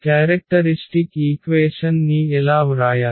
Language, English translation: Telugu, So, how to write the characteristic equation